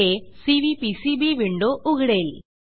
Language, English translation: Marathi, This will open the Cvpcb window